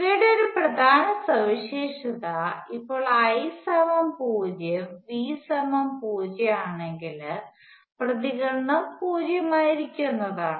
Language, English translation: Malayalam, And an essential feature of these is that if I 0 V is 0 that is excitation is zero the response would be zero